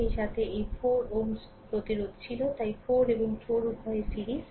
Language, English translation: Bengali, Along with that this 4 ohm resistance was there, so 4 and 4 both are in series